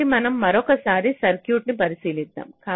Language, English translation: Telugu, so we consider the circuit